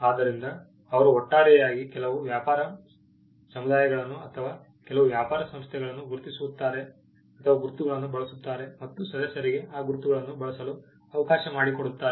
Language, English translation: Kannada, So, they collectively use a mark certain trading communities or certain trading bodies, would use mark and would allow the members to use those marks